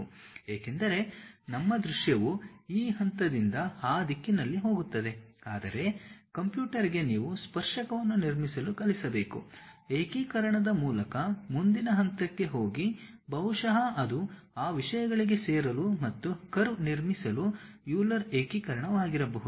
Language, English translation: Kannada, That is because our our visual says that from this point you go in that direction, but to the computer you have to teach construct a tangent, go to next point by integration maybe it might be a Euler integration, go join those things and construct a curve